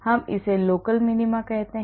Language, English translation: Hindi, we call this local minima